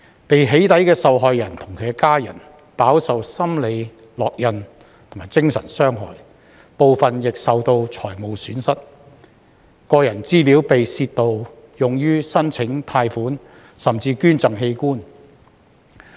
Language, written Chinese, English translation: Cantonese, 被"起底"的受害人及其家人，飽受心理烙印及精神傷害，部分亦受到財務損失，個人資料被盜竊用於申請貸款，甚至捐贈器官。, Victims of doxxing and their family members suffer from psychological stigma and psychological damage . Some of them also suffer financial losses and their personal information is stolen and used to apply for loans and even organ donations